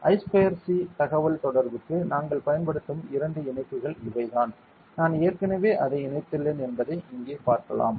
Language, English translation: Tamil, These are the two connections that we use for I square C communication you can see here I have already connected it ok